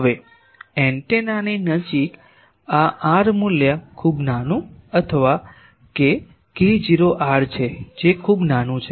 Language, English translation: Gujarati, Now, close to the antenna these r value is very small or k not r that is very small